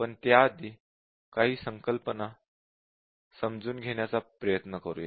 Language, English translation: Marathi, But before that lets try to have some very simple concepts about this correct